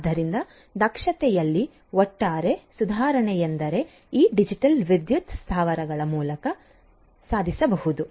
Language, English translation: Kannada, So, overall improvement in efficiency is what can be achieved through these digital power plants